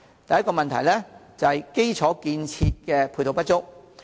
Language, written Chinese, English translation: Cantonese, 第一，基礎設施配套不足。, First ancillary infrastructure facilities are inadequate